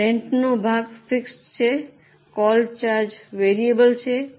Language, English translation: Gujarati, The rent part is fixed, call charges are variable